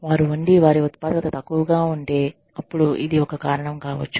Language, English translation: Telugu, If they are, their productivity is low, then this could be a reason